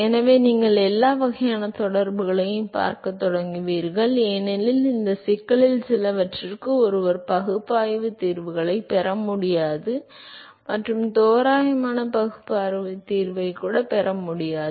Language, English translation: Tamil, So, you will start seeing all kinds of correlations because one cannot get analytical solutions for some of these problems and one cannot even get approximate analytical solution